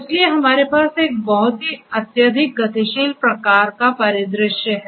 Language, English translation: Hindi, So, we have a different very highly dynamic kind of scenario